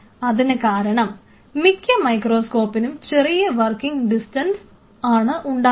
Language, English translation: Malayalam, Because most of the microscope if you see will have a very short working distance what does that mean